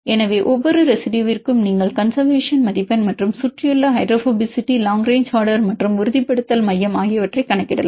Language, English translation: Tamil, So, for each residue you can calculate the conservation score and surrounding hydrophobicity, long range order and the stabilization center